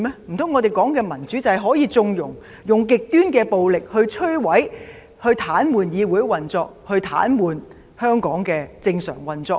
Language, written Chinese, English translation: Cantonese, 難道我們說的民主，便是可以縱容使用極端暴力來摧毀、癱瘓議會運作及癱瘓香港的正常運作嗎？, Could it be that when we talk about democracy it means condoning the use of extreme violence to destroy and paralyse the operation of this Council and to paralyse the normal operation of Hong Kong?